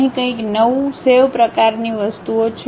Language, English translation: Gujarati, There is something like New, Save kind of things